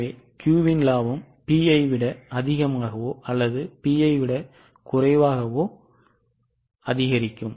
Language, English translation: Tamil, So, Q's profit will increase by more than P or less than P